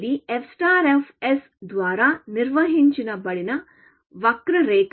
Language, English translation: Telugu, This is the curve which is defined by f star of s